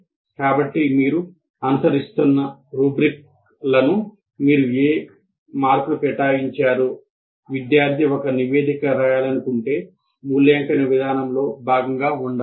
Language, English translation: Telugu, So whatever marks you are allocating, the rubrics you are following, if you want the student to write a report, all that should be part of the evaluation procedure